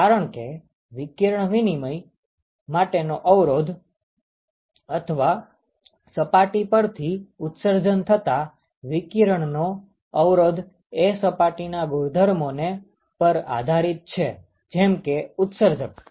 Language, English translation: Gujarati, Because the resistance that is offered by the surface to exchange radiation, or to emit radiation from the surface it depends upon the surface property such as emissivity